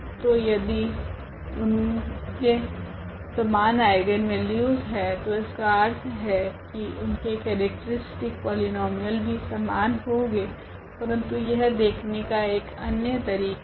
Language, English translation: Hindi, So, if we have the same eigenvalues meaning they have the same characteristic polynomial, but this is just another way of looking at it